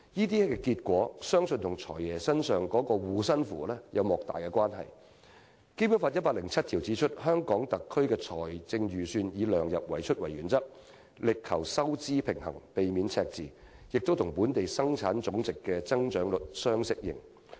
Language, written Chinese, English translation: Cantonese, 這種結果相信與"財爺"的"護身符"有莫大關係，因為《基本法》第一百零七條訂明："香港特別行政區的財政預算以量入為出為原則，力求收支平衡，避免赤字，並與本地生產總值的增長率相適應。, To a large extent this is a result of Hong Kong being under the Financial Secretarys mantra because Article 107 of the Basic Law has stipulated that [t]he Hong Kong Special Administrative Region shall follow the principle of keeping the expenditure within the limits of revenues in drawing up its budget and strive to achieve a fiscal balance avoid deficits and keep the budget commensurate with the growth rate of its gross domestic product